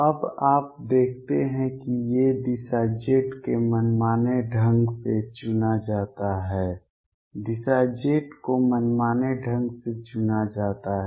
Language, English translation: Hindi, Now you see these direction z is chosen arbitrarily direction z is chosen arbitrarily